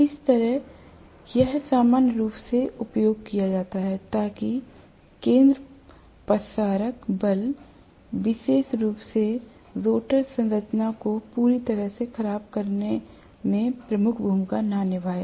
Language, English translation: Hindi, That is how it is used normally, so that the centrifugal forces do not play a major role especially in deforming the rotor structure completely